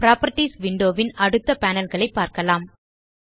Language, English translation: Tamil, Lets see the next panels in the Properties window